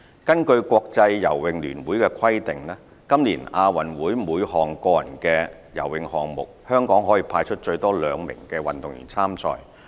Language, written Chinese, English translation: Cantonese, 根據國際游泳聯會的規定，今年亞運會每項個人的游泳項目，香港可派出最多兩名運動員參賽。, According to the rules promulgated for the 2018 Asian Games by the International Swimming Federation Hong Kong was allowed to send a maximum of two athletes to compete in each individual swimming event